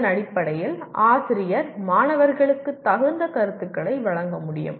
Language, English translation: Tamil, Based on that the teacher can give appropriate feedback to the students